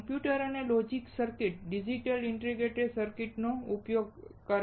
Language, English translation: Gujarati, Computer and logic circuits uses digital integrated circuits